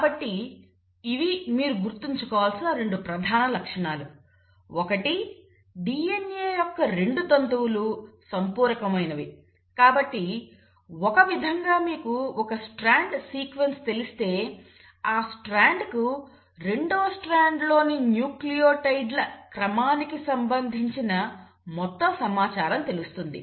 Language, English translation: Telugu, So this is, these are 2 major features I want you to keep in mind, one that the 2 strands of DNA are complimentary, so in a sense if you know the sequence of one strand, that one strand knows and has information as to what all would be the sequence of nucleotides in the second strand